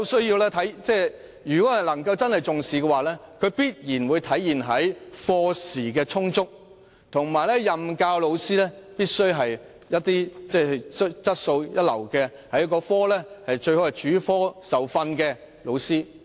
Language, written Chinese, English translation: Cantonese, 如果當局真正重視中史科，定會規定課時必須充足，任教老師須具備高質素，最好是主科受訓的老師。, If the authorities really attach importance to Chinese History it will definitely ensure that the lesson time is sufficient and that the teachers should be well qualified preferably having specialized training in the subject